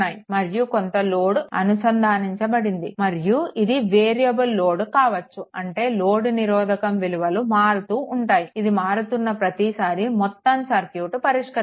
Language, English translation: Telugu, And some load is connected and these may be variable load I mean suppose this load is changing if every time this load resistance is changing then whole circuit you have to solve right